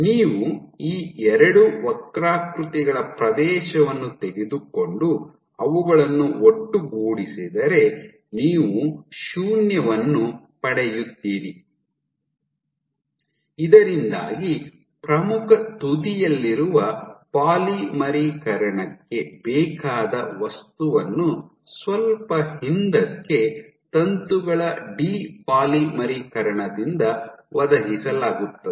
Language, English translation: Kannada, So, if you take the area of these two curves and sum them together you will get 0, suggesting that the material required for polymerization at the leading edge is provided by the depolymerization of filaments slightly backward